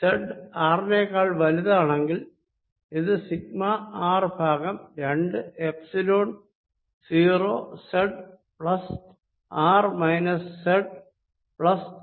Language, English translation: Malayalam, this answer is: v z is equal to sigma r over two, epsilon zero z plus r minus modulus z minus r